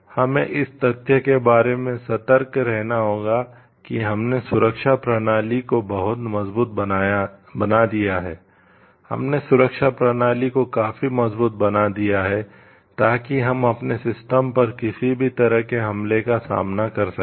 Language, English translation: Hindi, We have to be like cautious about have we made the security strong enough have we made the security system strong enough, so that we can withstand our system can withstand any sort of attack